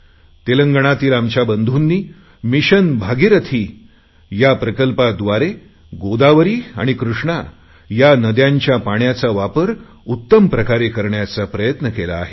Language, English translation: Marathi, Our farmer brothers in Telangana, through 'Mission Bhagirathi' have made a commendable effort to optimally use the waters of Godavari and Krishna rivers